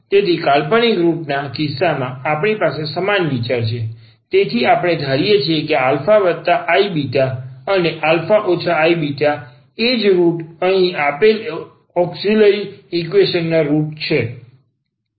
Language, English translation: Gujarati, So, in the case of the imaginary root we have the same idea, so we assume that alpha plus i beta and this alpha minus i beta is the is the roots here are the roots of the given auxiliary equations